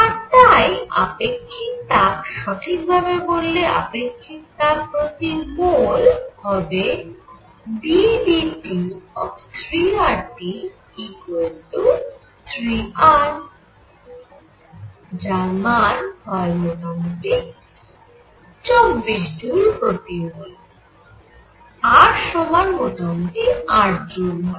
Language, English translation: Bengali, And therefore, specific heat; that means, specific heat per mole is going to be 3 R T d by d T equals 3 R which is roughly 24 joules per mole, R is roughly a joules